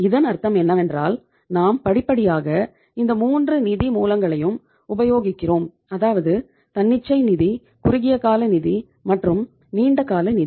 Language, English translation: Tamil, So it means we are utilizing means step by step we are utilizing all the 3 sources of funds, spontaneous finance, short term finance, and the long term finance